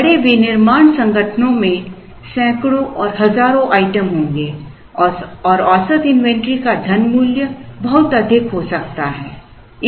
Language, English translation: Hindi, In large manufacturing organizations, there would be hundreds and thousands of items and the money value of the average inventory can be very high